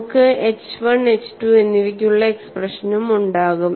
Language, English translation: Malayalam, We will also have expressions for H 1 and H 2; H 1 is given as 1 minus 0